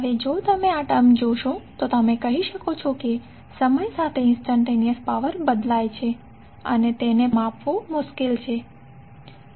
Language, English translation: Gujarati, Now, if you see this term you can say that instantaneous power changes with time therefore it will be difficult to measure